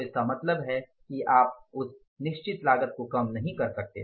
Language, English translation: Hindi, So, it means you cannot minimize that cost